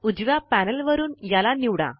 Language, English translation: Marathi, From the right panel, select it